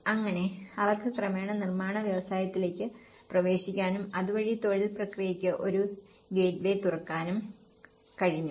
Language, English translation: Malayalam, So that, they can gradually get on into the construction industry so that it could also open a gateway for the employment process